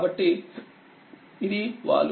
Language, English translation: Telugu, So, this is the slope